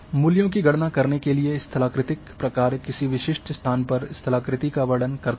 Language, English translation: Hindi, So, topographic function to calculate values they describe the topography at a specific location